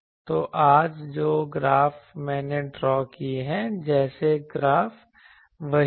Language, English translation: Hindi, So, the graph today I have drawn over like graphs are there